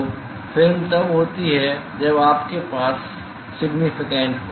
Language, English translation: Hindi, So, film is when you have significant